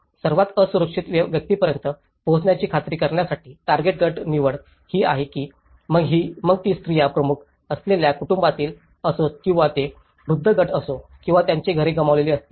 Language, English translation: Marathi, One is the target group selection to ensure access to the most vulnerable, whether it is the women headed families or it is a elderly group or if they have lost their houses